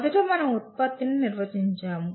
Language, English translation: Telugu, First we define the product